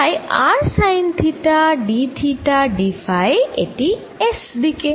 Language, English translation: Bengali, so r d theta times d r in phi direction